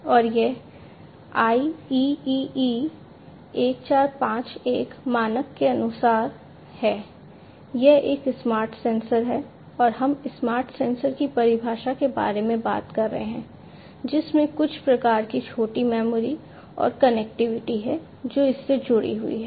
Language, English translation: Hindi, And this is as per the IEEE 1451 standard, so this is a smart sensor and we are talking about the definition of a smart sensor having some kind of small memory and some connectivity, you know, attached to it